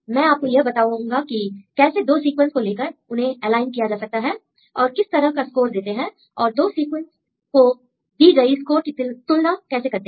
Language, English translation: Hindi, Now I will tell you how they take 2 sequences and how they align the sequences and what is the score they give how they evaluate the score between 2 different alignments